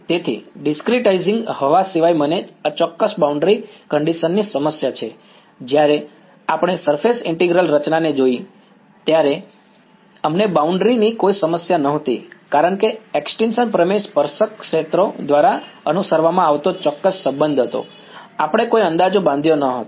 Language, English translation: Gujarati, So, apart from discretizing air I have the problem of inexact boundary condition whereas when we look at surface integral formulation, we did not have any problem of boundary because the extinction theorem was the exact relation obeyed by tangential fields, we did not make any approximations, we did not have to include any air, it is exactly the relation right